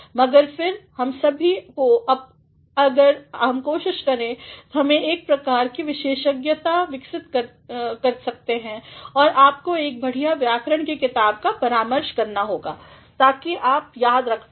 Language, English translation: Hindi, But, then all of us if we can try we can really develop a sort of expertise and you have to consult a good grammar book; so, that you may remember